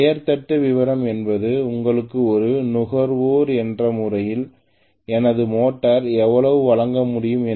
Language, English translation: Tamil, The name plate detail always gives you especially as a consumer I would like to know how much my motor can deliver